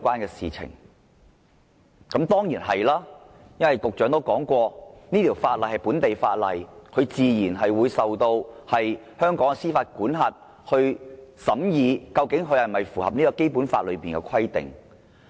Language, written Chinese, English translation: Cantonese, 答案當然是，因為局長說過這條例是本地法例，香港法院自然有司法管轄權，審議該條例是否符合《基本法》的規定。, The answer is certainly in the affirmative . As stated by the Secretary the Ordinance is a local law and naturally courts in Hong Kong have the jurisdiction to decide whether the Ordinance is in conformity with the Basic Law